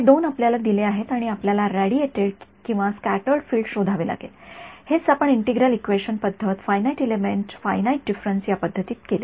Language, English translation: Marathi, These two are given to you and you have to find the radiated or scattered field right; this is what we did in integral equation methods, finite element method and finite difference time domain method right